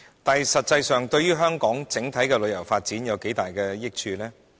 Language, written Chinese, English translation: Cantonese, 但是，它實際上可對香港整體旅遊發展帶來多大益處？, However what actual benefits can it bring to the development of Hong Kongs tourism industry as a whole?